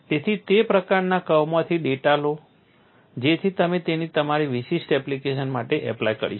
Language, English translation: Gujarati, So, take the data from that kind of curve for you to apply it for your specific application